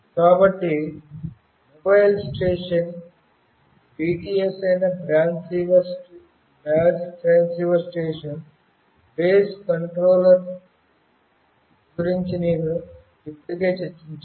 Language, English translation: Telugu, So, this is exactly what I have already discussed about Mobile Station, Base Transceiver Station that is the BTS, Base Station Controller